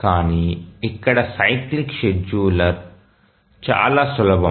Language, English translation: Telugu, But here the cyclic scheduler is very simple